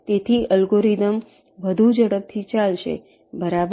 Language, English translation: Gujarati, so the algorithm will be running much faster